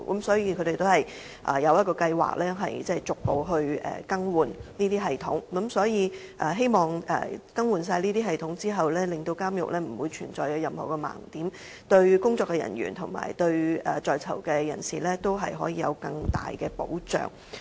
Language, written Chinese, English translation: Cantonese, 所以，他們的計劃是，逐步更換這些系統，希望更新後監獄不會再存在任何盲點，對工作人員和在囚人士有更大保障。, For this reason their plan is to progressively replace such systems in the hope of eliminating any blind spots in prisons after replacement and offering greater protection to staff members and persons in custody PICs